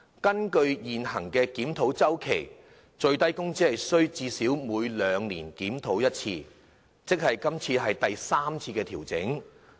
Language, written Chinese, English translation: Cantonese, 根據現行檢討周期，最低工資須最少每兩年檢討一次，即今次是第三次調整。, According to the existing review cycle SMW must be reviewed at least once every two years meaning this is the third adjustment